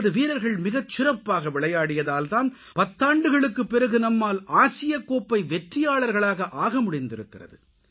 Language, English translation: Tamil, Our players performed magnificently and on the basis of their sterling efforts, India has become the Asia Cup champion after an interval of ten years